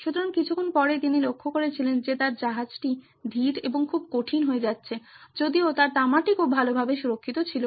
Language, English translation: Bengali, So, after a while he noticed that his ship got slower and much tougher to handle inspite of the fact that his copper was protected very well